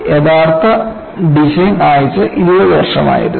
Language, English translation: Malayalam, The actual design life was 20 years